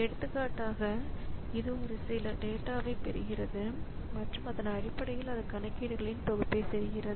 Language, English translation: Tamil, For example, maybe it is getting some data and based on that it is doing a set of computations